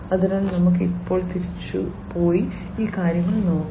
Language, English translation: Malayalam, So, let us now, you know, go back and look at these things